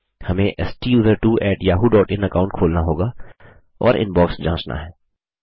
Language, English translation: Hindi, We have to open the STUSERTWO@yahoo.in account and check the Inbox